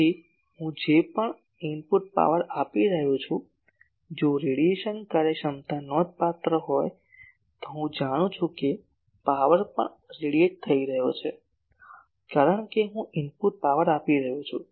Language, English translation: Gujarati, So, whatever input power I am giving , if radiation efficiency is substantial I know ok that power is also getting radiated because I am giving input power